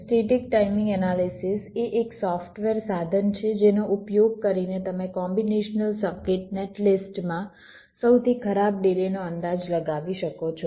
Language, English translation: Gujarati, static timing analysis is a software tool using which you can estimate the worst case delays in a combination circuit net list